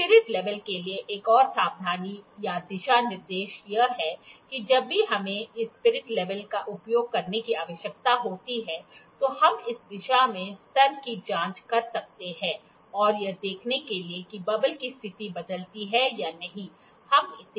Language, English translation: Hindi, Another precautions or guidelines for spirit level is that whenever we need to use this spirit level, we can check the level in this direction, and also we turn it 180 degree to check if that position of the bubble changes